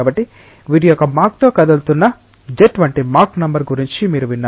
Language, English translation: Telugu, So, you have heard about the mach number like a jet moving with a mach of these